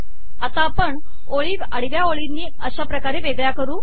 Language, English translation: Marathi, We will now separate the rows with horizontal lines as follows